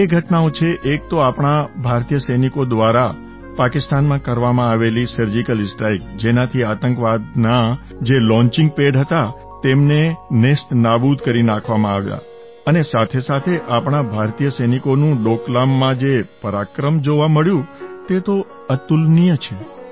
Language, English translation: Gujarati, Two actions taken by our Indian soldiers deserve a special mention one was the Surgical Strike carried out in Pakistan which destroyed launching pads of terrorists and the second was the unique valour displayed by Indian soldiers in Doklam